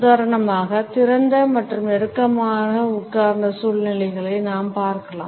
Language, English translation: Tamil, We can for instance look at the open and close sitting situations